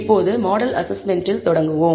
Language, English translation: Tamil, Now, let us start with model assessment